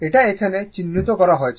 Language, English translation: Bengali, It is marked here